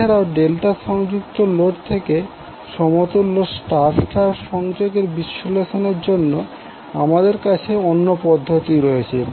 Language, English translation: Bengali, Now there is an alternate way also to analyze the circuit to transform star delta connected load to equivalent star star connection